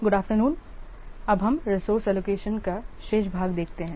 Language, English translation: Hindi, Let's see the remaining portion of resource allocation